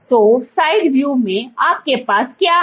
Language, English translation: Hindi, So, in side view, what you have